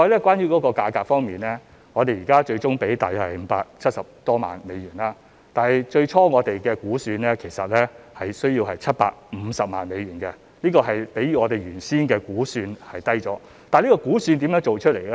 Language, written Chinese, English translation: Cantonese, 關於價格方面，我們最終支付大約570多萬美元，但我們其實最初估算需要750萬美元，是次價格已較我們原先的估算低，主席，這估算是如何得出來呢？, Regarding the contract price the final contract sum payable was about US5.7 million which was lower than our original estimate of US7.5 million . President how did we come up with the original estimate?